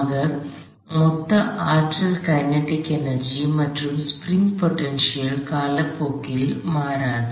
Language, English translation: Tamil, So, at the sum total energy kinetic plus spring potential does n ot change with time